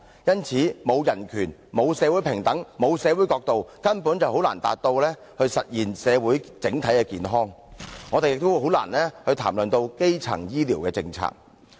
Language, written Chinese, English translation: Cantonese, 因此，沒有基本人權、沒有社會平等、沒有社會角度，根本便難以達到、實現社會整體的健康，我們也難以談論基層醫療的政策。, Hence without fundamental human rights social equality and social perspective it is basically difficult to attain and realize general health in society and also difficult for us to discuss the policy on primary health care